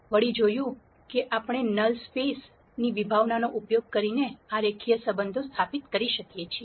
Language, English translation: Gujarati, We saw that we could establish these linear relationships using the concept of null space